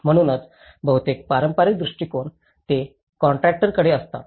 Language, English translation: Marathi, So, that is where much of this traditional approach they often end up with a contractor